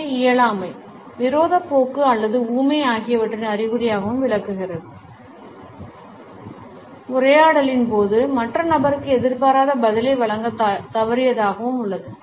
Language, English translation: Tamil, It is also interpreted as a sign of impoliteness, hostility or even dumbness, a failure to provide unexpected response to the other person during a dialogue